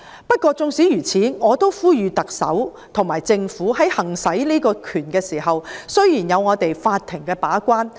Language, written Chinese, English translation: Cantonese, 不過，縱使如此，我也呼籲特首和政府在行使這項權力時，雖然有法庭把關......, Nonetheless I urge the Chief Executive and the Government that in exercising this power although the court will perform a gatekeeping role they must be careful and prudent